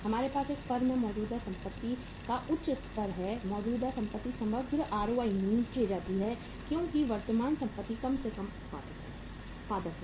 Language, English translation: Hindi, We have the higher level of the current assets in a firm the overall ROI goes down because current assets are least productive